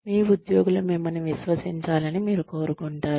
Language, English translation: Telugu, You want your employees to trust you